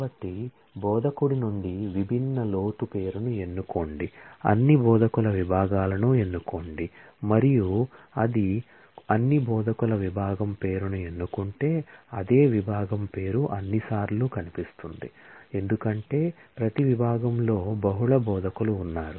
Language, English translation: Telugu, So, select distinct depth name from instructor will actually, select the departments of all instructors and quite why if it just selects department name of all instructor, then it is quite possible that the same department name will appear number of times, because every department has multiple instructors